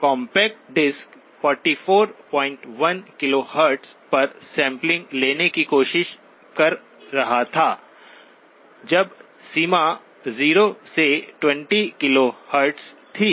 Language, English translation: Hindi, Compact disc was trying to sample at 44 point 1 KHz, when the range of interest was 0 to 20 KHz